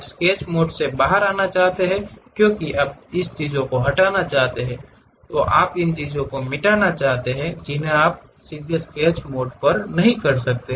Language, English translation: Hindi, You want to come out of Sketch mode because you want to delete the things, you want to erase the things you cannot straight away do it on the sketch mode